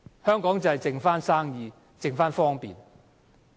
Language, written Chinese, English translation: Cantonese, 香港只剩下生意、只剩下方便。, There are only two things left in Hong Kong Business and convenience